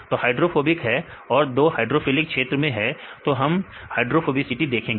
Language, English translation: Hindi, So, 2 are hydrophobic and 2 are the hydrophilic regions right that we will see the hydrophobicity right